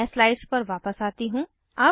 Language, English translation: Hindi, Let us go back to the slides